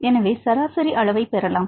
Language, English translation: Tamil, So, you can get the average